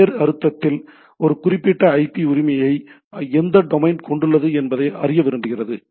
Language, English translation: Tamil, In other sense that it wants to know that particular which domain has this particular IP right